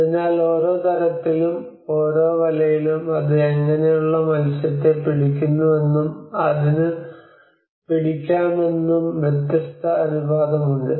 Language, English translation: Malayalam, So that each, and every net have a different proportion on how what kind of fish it catches and it can hold